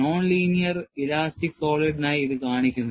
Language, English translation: Malayalam, You could extend this for non linear elastic solid